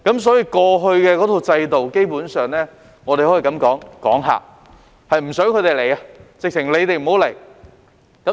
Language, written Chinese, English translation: Cantonese, 所以，過去的制度，基本上可以說是"趕客"，是不想他們來，簡直是叫他們不要來。, Therefore the old system is basically driving them away keeping them at bay or simply telling them not to come